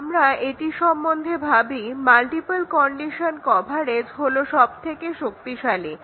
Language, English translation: Bengali, If we think of it, the multiple condition coverage is the strongest of all